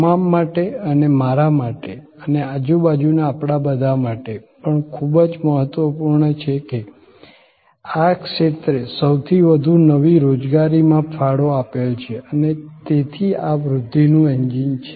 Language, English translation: Gujarati, Also very important for you and for me and for all of us around, that this sector has contributed most new employments and therefore this is a growth engine